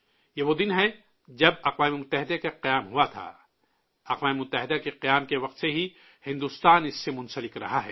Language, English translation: Urdu, This is the day when the United Nations was established; India has been a member since the formation of the United Nations